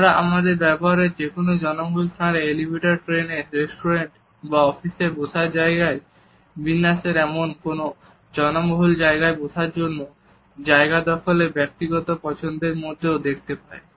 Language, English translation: Bengali, We can look at this aspect of our behavior in crowded places, elevators, trains, seating arrangement in restaurant offices, as well as an individual preferences regarding the seat we occupy in any crowded place